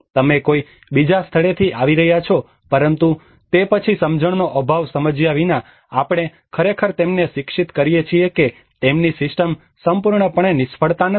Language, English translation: Gujarati, You are coming from some other place, but then without understanding a lack of understanding we actually educate them that their system is not is absolutely a failure